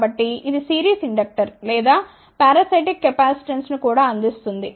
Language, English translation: Telugu, So, that also provides series inductor or maybe parasitic capacitance